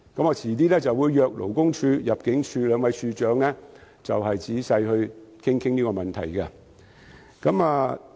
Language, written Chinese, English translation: Cantonese, 我稍後會邀請勞工處和入境事務處兩位處長仔細討論這個問題。, Later I will invite the Labour Department and the Immigration Department to discuss this problem in detail